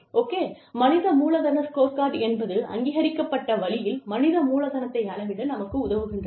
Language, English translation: Tamil, So, human capital scorecards, is what help us measure the, human capital in a recognized way